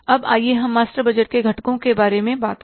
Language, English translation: Hindi, Now let's talk about the components of the master budget